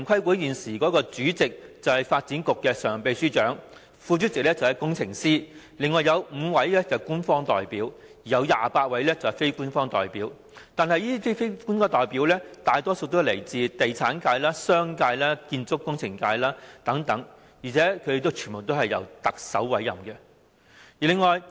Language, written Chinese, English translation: Cantonese, 但是，現時城規會主席是發展局常任秘書長，副主席是工程師，另有5名官方代表，以及28名非官方代表，這些非官方代表多數來自地產界、商界、建築工程界等，而且全部均由特首委任。, However the incumbent Chairman of TPB is the Permanent Secretary for Development and the Deputy Chairman is an engineer; there are also five official representatives and 28 non - official representatives . Most of these non - official representatives come from the real estate sector the business sector and the construction and engineering sectors and all of them are appointed by the Chief Executive